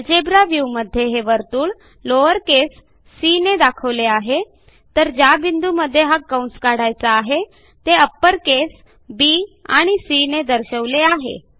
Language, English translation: Marathi, From the algebra view we can see that the circle is referred to as lower case c, and the points between which we want to draw the arc (B,C) both in upper case